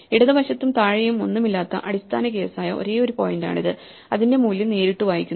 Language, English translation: Malayalam, This is the only point which is the base case which has nothing to its left and nothing below so its value is directly read